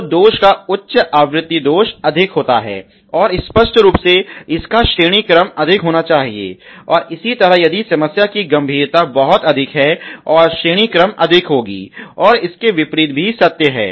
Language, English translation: Hindi, So, supposing of the defect is high frequency defect the occurs more and obviously rank should be more, and similarly if the siviority of the problem is very high the and rank should be more and vis versa